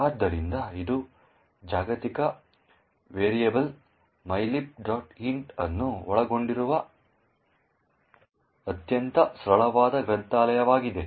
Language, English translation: Kannada, So, this is a very simple library it comprises of a global variable mylib int